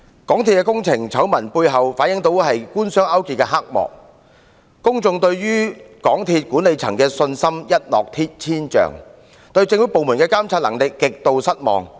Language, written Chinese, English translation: Cantonese, 港鐵工程醜聞背後反映了官商勾結的黑幕，令公眾對港鐵公司管理層的信心一落千丈，對政府部門的監察能力極度失望。, Scandals concerning MTRCLs projects revealed collusion between the Government and the business sector thereby dealing a severe blow to public confidence in MTRCLs management and stirring up grave dissatisfaction against government departments capabilities of performing monitoring duties